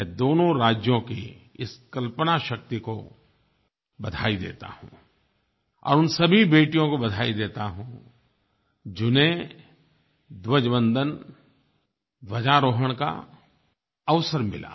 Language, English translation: Hindi, I congratulate the imagination of these two states and also congratulate all those girls who got the opportunity to host the flag